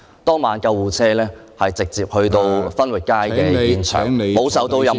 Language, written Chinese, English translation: Cantonese, 當晚救護車是駛至分域街現場，沒有受到任何......, On that night the ambulance arrived at the scene on Fenwick Street where it was not subjected to any